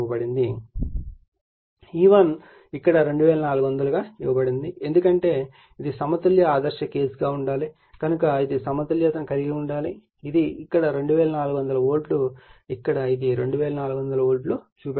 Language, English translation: Telugu, E1 is given herE2400 because it has to be balance ideal case it has to be balanced right so, it is 2400 volt here also it is showing 2400 volts right